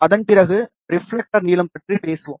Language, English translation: Tamil, Then after that, we will talk about reflector length